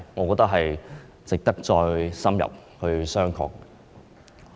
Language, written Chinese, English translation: Cantonese, 我認為值得深入商榷。, I think it is worth in - depth consideration